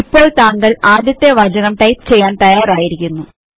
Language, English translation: Malayalam, You are now ready to type your first statement